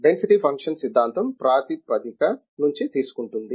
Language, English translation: Telugu, Density functional theory takes from the basis okay